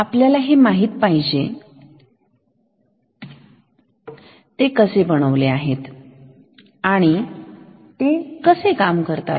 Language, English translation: Marathi, So, we should also know how they are made or how they work